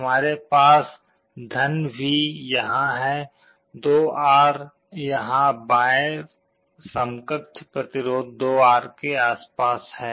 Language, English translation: Hindi, I have +V here, 2R here, around the left equivalent resistance is 2R